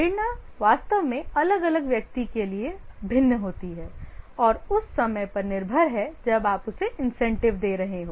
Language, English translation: Hindi, The motivation actually vary from individual to individual and also based on the time or the point of time in his career when you are giving him the incentive